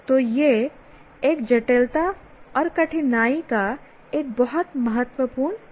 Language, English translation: Hindi, So, this is a very important facet of complexity and difficulty